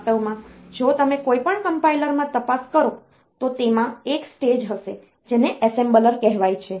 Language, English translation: Gujarati, In fact, if you look into any compiler so, they will be having one stage called assembler